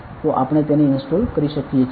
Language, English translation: Gujarati, So, we you can just installed it